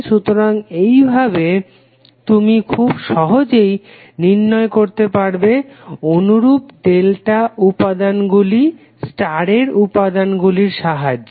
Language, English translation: Bengali, So in this way you can easily calculate the value of the corresponding delta elements using star connected elements